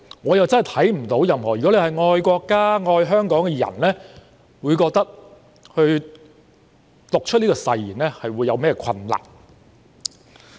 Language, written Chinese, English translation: Cantonese, 我真的看不到任何一個愛國家、愛香港的人在讀出這些誓言時會有何困難。, I really cannot see any difficulty for a person who loves the country and Hong Kong in reading the oath